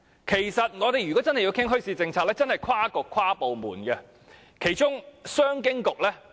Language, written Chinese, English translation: Cantonese, 其實，要真正討論墟市政策，則要跨局及跨部門進行。, In fact the bazaar policy should be discussed by different bureaux and departments